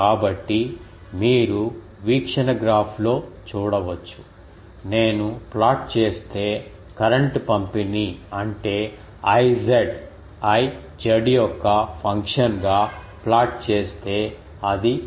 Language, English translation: Telugu, So, that you can see in the view graph, that the current distribution if I plot; that means, I z if I plot as a function of z it is something like a sinusoidal